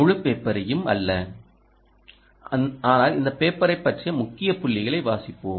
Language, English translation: Tamil, but lets read this paper, not the whole paper, but the key points here